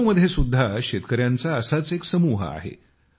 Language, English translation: Marathi, One such group of farmers hails from Lucknow